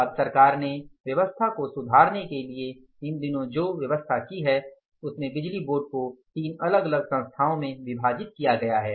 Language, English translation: Hindi, Now to improve this system now the government has done these days this power sector is divided into the three different entities